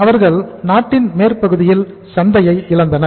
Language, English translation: Tamil, They lost the market in the western part of the country